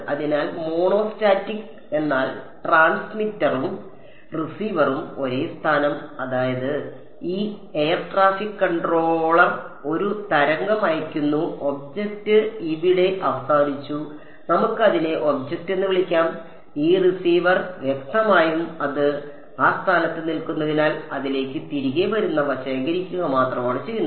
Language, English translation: Malayalam, So, monostatic means transmitter and receiver same position; that means, this air traffic controller sends a wave and the object is over here let us just call it object, this receiver the; obviously, because its standing at that position it only gets only collects what is coming back to it